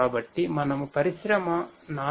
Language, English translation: Telugu, So, if we are talking about Industry 4